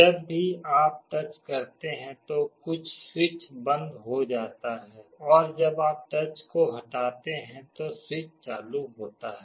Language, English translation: Hindi, Whenever you make a touch some switch is closed, when you remove the touch the switch is open